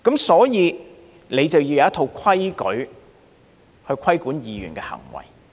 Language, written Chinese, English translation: Cantonese, 所以，便要有一套規矩去規管議員的行為。, So a set of rules must be formulated to regulate members conduct